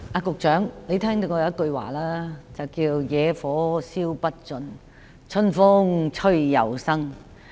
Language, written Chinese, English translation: Cantonese, 局長，你也聽過一句話："野火燒不盡，春風吹又生"。, Secretary you have also heard the saying The grass on earth cannot be burned out by a prairie fire but grows again with the spring breeze